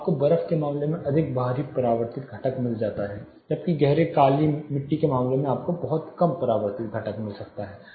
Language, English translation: Hindi, So, external reflected component in the case of snow you might get more, whereas in the case of dark wet black soil you might get much less external reflected component